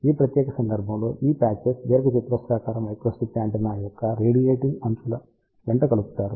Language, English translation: Telugu, In this particular case these patches are coupled along the radiating edges of the rectangular microstrip antenna